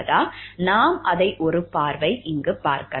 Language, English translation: Tamil, Let us have a look into it